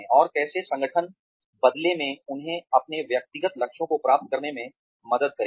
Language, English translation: Hindi, And, how the organization, in turn will help them, achieve their personal goals